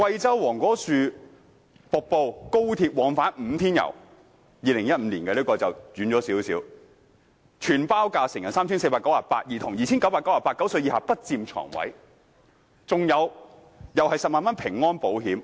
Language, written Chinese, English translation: Cantonese, 這個旅行團在2015年舉辦，時間上較久遠，全包價為成人 3,498 元、兒童 2,998 元，另有10萬元平安保險。, It was organized in 2015 a bit far back . The all - inclusive prices were 3,498 for adults and 2,998 for children below 9 years of age . Travel insurance with coverage of 100,000 was also included